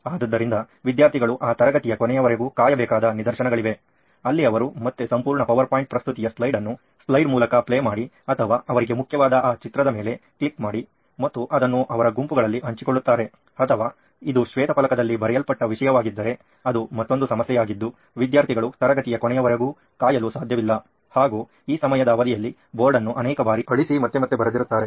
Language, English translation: Kannada, So there are instances where students are supposed to wait till the end of that class, where they again go back, play the entire power point presentation slide by slide or whatever is important to them just click those images and share it within their peer groups, or if it is a content written on the white board it’s another problem there would be that students cannot wait till the end of the class the board would be wiped out N number of times in this due course of time